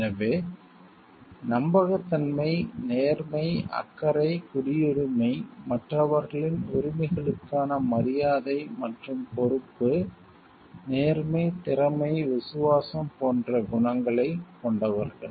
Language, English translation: Tamil, And so, these possessing these qualities like trustworthiness, fairness, caring, citizenship, respect for the rights of others and so, being responsible honest competent loyal